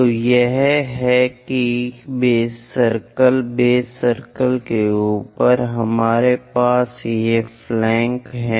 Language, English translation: Hindi, So, this is that base circle, above base circle, we have these flanks